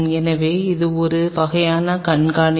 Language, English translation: Tamil, So, this is kind of to keep track